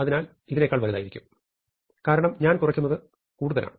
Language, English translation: Malayalam, So, this will be bigger than this, because I am subtracting more